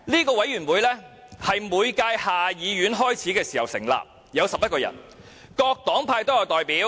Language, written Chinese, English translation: Cantonese, 該委員會是每屆下議院開始時成立，有11人，包括各黨派的代表。, The Committee is set up at the start of each term of the House of Commons and is made up of 11 members from various political parties